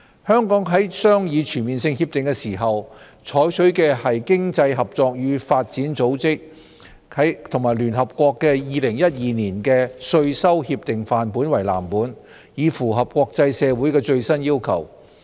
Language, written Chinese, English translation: Cantonese, 香港在商議全面性協定時，採取經濟合作與發展組織及聯合國2012年的稅收協定範本為藍本，以符合國際社會的最新要求。, In negotiating the Comprehensive Agreements Hong Kong had modeled on the 2012 version of the Model Tax Conventions of the Organisation for Economic Co - operation and Development OECD and the United Nations so as to meet the latest requirements of the international community